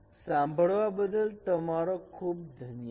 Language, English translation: Gujarati, Thank you very much for listening